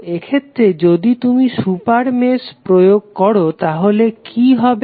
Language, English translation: Bengali, So, in this case if you apply to super mesh what will happen